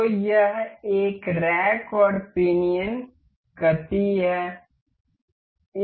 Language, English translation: Hindi, So, this was rack and pinion motion